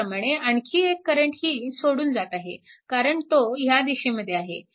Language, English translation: Marathi, Similarly, another current is also leaving because we have taken in this direction